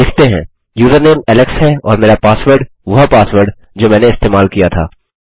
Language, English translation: Hindi, Lets say username is alex and my password is the password that I used